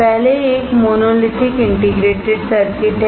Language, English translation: Hindi, The first one is monolithic integrated circuits